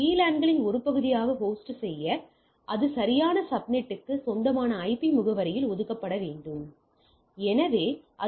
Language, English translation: Tamil, In order to host be a part of the VLANs it must assigned in IP address that belongs to the proper subnet that is important